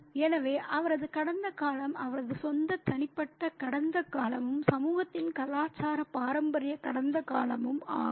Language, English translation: Tamil, So, so his past is his own personal past as well as the cultural, traditional past of the community